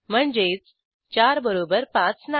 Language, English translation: Marathi, i.e.4 is not equal to 5